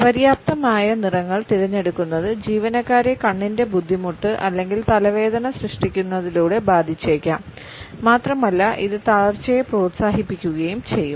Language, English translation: Malayalam, Choosing inadequate colors may impact employees by causing not only eye strain or headache, but also it can encourage a sense of fatigue